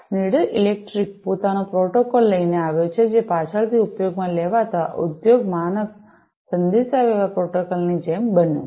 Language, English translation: Gujarati, So, Schneider electric came up with their own protocol, which later became sort of like an industry standard communication protocol for being used